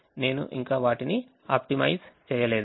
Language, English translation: Telugu, i have not yet optimized them